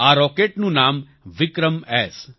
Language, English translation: Gujarati, The name of this rocket is 'VikramS'